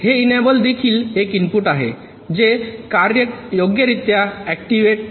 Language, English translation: Marathi, so this enable is also an input which activates the operation